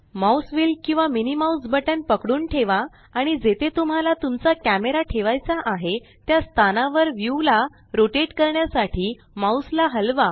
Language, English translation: Marathi, Hold the mouse wheel or the MMB and move the mouse to rotate the view to a location where you wish to place your camera